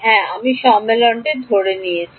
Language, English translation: Bengali, Yeah I have assumed the convention